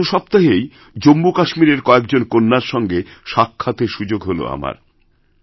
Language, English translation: Bengali, Just last week, I had a chance of meeting some daughters of Jammu & Kashmir